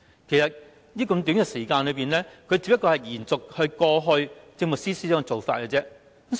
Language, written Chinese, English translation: Cantonese, 其實，時間這麼短，他只會延續過往政務司司長的做法。, Actually given such a short period of time he would only maintain the work of the past Chief Secretary for Administration